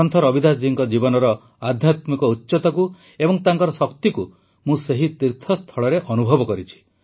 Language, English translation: Odia, I have experienced the spiritual loftiness of Sant Ravidas ji's life and his energy at the pilgrimage site